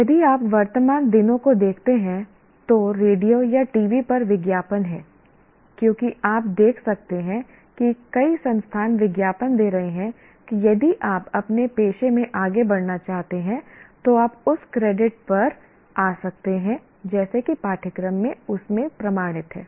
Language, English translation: Hindi, If you look at present days advertisements, is there on the radio or on the TV, as you can see that there are so many institutions keep advertising that if you want to move up in your profession, you can come and attend, you can come and accredit such and such a course, get certified in that